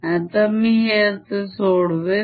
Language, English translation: Marathi, let us calculate this